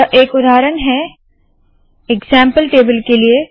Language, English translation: Hindi, This is an example to, example table